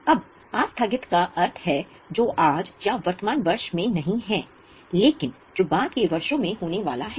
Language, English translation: Hindi, Now deferred means something which is not due today or in the current year which is due in later years